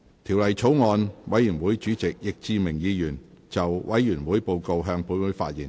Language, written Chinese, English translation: Cantonese, 條例草案委員會主席易志明議員就委員會報告，向本會發言。, Mr Frankie YICK Chairman of the Bills Committee on the Bill will address the Council on the Committees Report